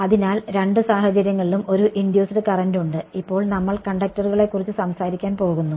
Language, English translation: Malayalam, So, in both cases there is an induced current and for now we are going to be talking about conductors